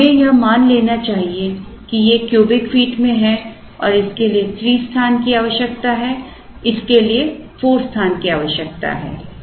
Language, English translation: Hindi, So, let us assume that these are in say cubic feet and this requires space of 3, this requires space of 4